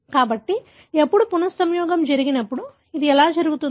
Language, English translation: Telugu, So when, when the recombination happens, this is how it happens